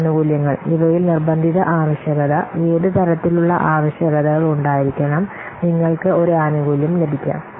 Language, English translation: Malayalam, So, these benefits, this might include mandatory requirement, what kind of requirements are must so that you may get a benefit